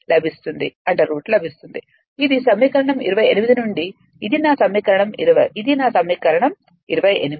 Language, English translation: Telugu, Even if you come to equation 20, your equation 20 this is equation 20